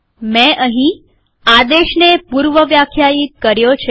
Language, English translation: Gujarati, I have predefined a command here